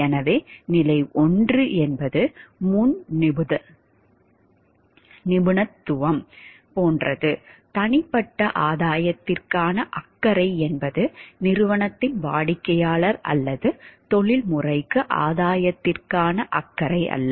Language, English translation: Tamil, So, stage 1 is like pre professional, it is the concern is for the grain we concern is for the concern is for the gain of the individual not to the company client or professional